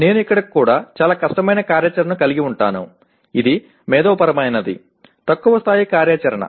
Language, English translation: Telugu, I can have very difficult activity even here; which is intellectually is a lower level activity